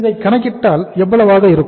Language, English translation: Tamil, So it means how much it is going to be